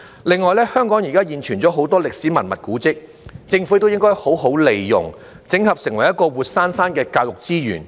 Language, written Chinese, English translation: Cantonese, 另外，香港現存很多歷史文物古蹟，政府應該好好利用，整合成為活生生的教育資源。, Besides the Government should make good use of the many existing relics and monuments in Hong Kong and turn them into lively educational resources